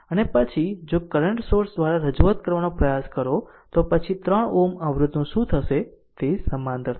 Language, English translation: Gujarati, And then if you try to if you try to represented by current source, then what will happen these 3 ohm resistance will be in parallel